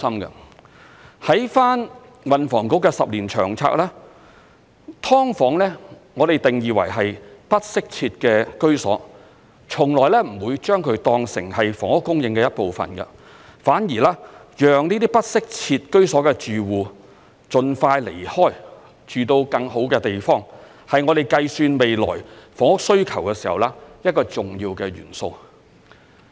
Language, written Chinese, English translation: Cantonese, 參考運房局10年期的《長遠房屋策略》，"劏房"被我們定義為不適切的居所，從來不會將其當成房屋供應的一部分，反而讓這些不適切居所的住戶盡快離開，住到更好的地方，是我們計算未來房屋需求時一個重要的元素。, If we refer to the Long Term Housing Strategy of the Transport and Housing Bureau which covers a period of 10 years subdivided units are classified as inadequate housing and they will not be regarded as part of the housing supply . Quite the contrary expeditiously relocating the residents living in inadequate housing to a better living environment is an important element in our calculation of the future housing supply